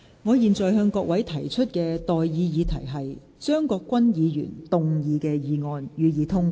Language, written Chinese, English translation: Cantonese, 我現在向各位提出的待議議題是：張國鈞議員動議的議案，予以通過。, I now propose the question to you and that is That the motion moved by Mr CHEUNG Kwok - kwan be passed